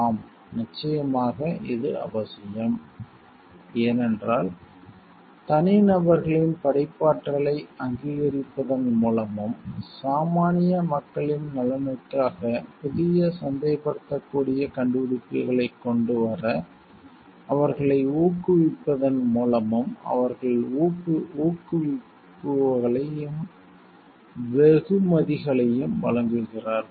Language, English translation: Tamil, Yes of course, it is necessary, because they offer incentives and rewards to individuals by recognizing their creativity so and to come up with new marketable inventions for the benefit of the common people